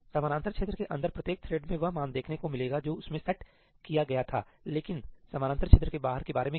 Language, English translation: Hindi, Inside the parallel region each thread will get to see the value that it had set, but what about outside the parallel region